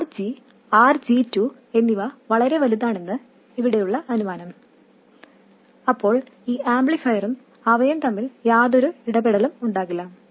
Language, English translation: Malayalam, The assumption here is that RG, RG2 are all very large, then there will be no interaction between this amplifier and that one